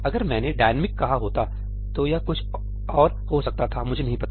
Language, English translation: Hindi, If I had said ëdynamicí then it may have done something else, I do not know